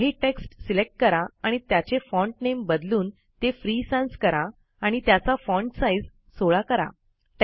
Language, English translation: Marathi, Select some text and change its font name to Free Sans and the font size to 16